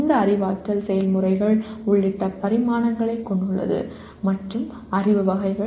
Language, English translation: Tamil, It has dimensions including Cognitive Processes and Knowledge Categories